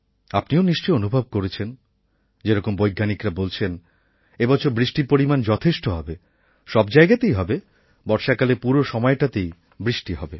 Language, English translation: Bengali, Going by the predictions of the scientists, this time there should be good rainfall, far and wide and throughout the rainy season